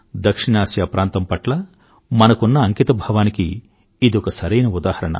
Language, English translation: Telugu, This is an appropriate example of our commitment towards South Asia